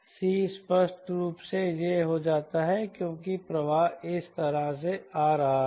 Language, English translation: Hindi, c apparently becomes this because the flow is coming like this